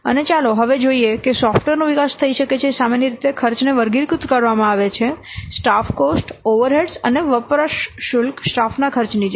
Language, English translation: Gujarati, And now let's see for might be development of software, normally the cost are categorized and follows like the staff cost overheads and usage charges